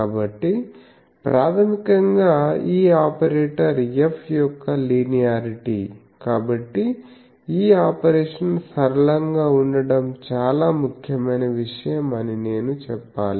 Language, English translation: Telugu, So, basically the linearity of this operator F; so, I should say that it is a very important thing that this operation should be linear